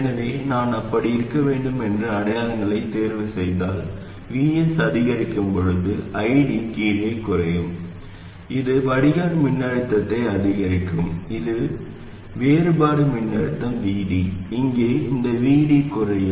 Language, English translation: Tamil, So if I choose the signs to be like that, then as VS increases, ID will fall down, which will make the drain voltage increase, which will make the difference voltage, VD, this VD here, decrease